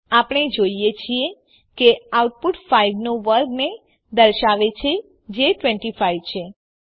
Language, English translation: Gujarati, We see that the output displays the square of 5 that is 25